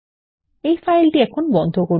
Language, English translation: Bengali, Lets close this file